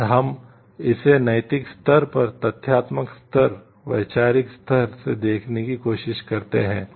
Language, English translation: Hindi, And we try to see it from the factual level, conceptual level, and the moral level